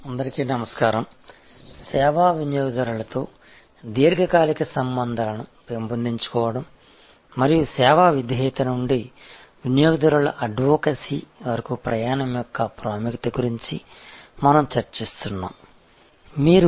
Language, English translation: Telugu, Hello, we are discussing about developing long term relationship with service customers and the importance of the journey from service loyalty to customer advocacy